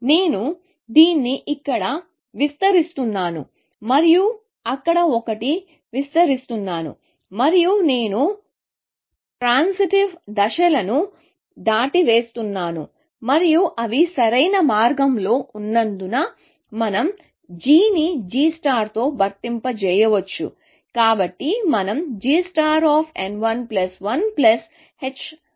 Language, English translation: Telugu, I am just expanding this one here, and that one there, and I am skipping the transitive steps, and because they are in optimal path, we can replace g with g star